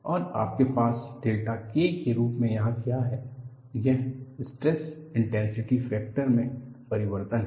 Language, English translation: Hindi, And what you have here as delta K, is the change in the stress intensity factor